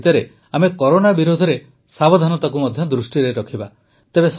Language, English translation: Odia, In the midst of all this, we also have to take precautions against Corona